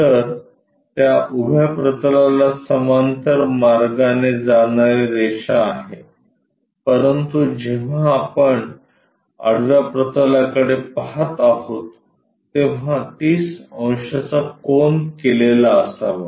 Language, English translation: Marathi, So, the line supposed to go parallelly to that vertical plane, but when we are looking at horizontal plane is supposed to make 30 degrees